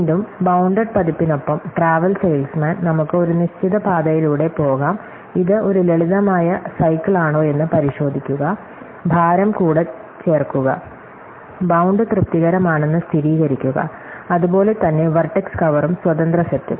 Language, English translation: Malayalam, Again, traveling salesman with the bounded version, we can take a set of a given path, check it is a simple cycle, add up the weights and verify that the bound is satisfied, likewise vertex cover and independent set